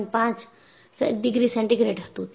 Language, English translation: Gujarati, 5 degree centigrade